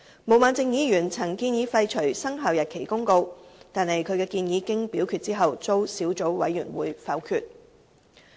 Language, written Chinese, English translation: Cantonese, 毛孟靜議員曾建議廢除《生效日期公告》，但其建議經表決後遭小組委員會否決。, Ms Claudia MO had suggested repealing the Commencement Notice but the proposal was voted down by the Subcommittee